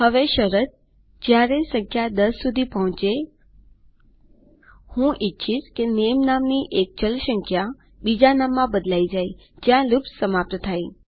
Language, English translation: Gujarati, Now the condition when the number reaches 10, I want a variable called name, to be changed to another name in which the loop will stop